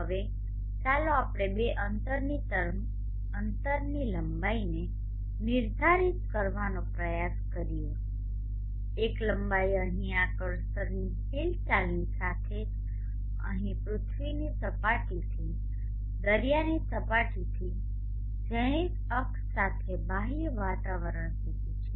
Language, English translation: Gujarati, z now let us let us try to define two distances length one length is here just along the movement of these cursor here just along the zenith axis from the surface of the earth at sea level along the zenith access up to the outer atmosphere